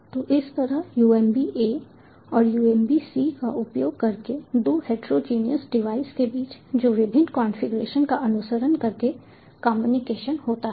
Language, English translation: Hindi, so this is how communication using umb a and umb c takes place between two heterogeneous devices following different configurations